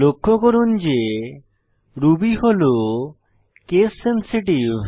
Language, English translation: Bengali, Please note that Ruby variables are case sensitive